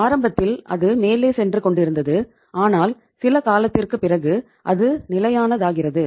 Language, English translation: Tamil, So initially it was going up up up and up but after some period of time it becomes stable